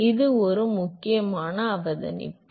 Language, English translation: Tamil, So, that is an important observation